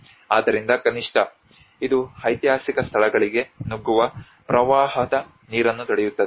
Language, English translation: Kannada, So that at least it can obstruct the flood water penetrating into the historic sites